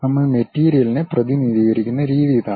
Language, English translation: Malayalam, This is the way we represent the material